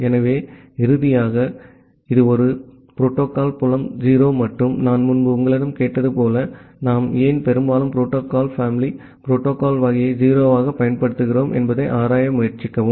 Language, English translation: Tamil, So, and finally, it is a protocol field is 0 and as I have asked you earlier that try to explore that why we mostly use protocol family protocol type as 0